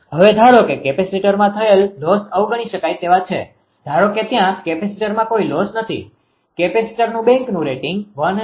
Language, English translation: Gujarati, Now, hence assume the losses in the capacitors are negligible suppose there is no loss in the capacitor therefore, the rating of the capacitor bank will be 168